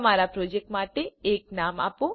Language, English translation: Gujarati, Give a name to your project